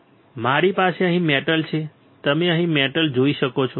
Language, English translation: Gujarati, Then I have a metal here, you can see the metal here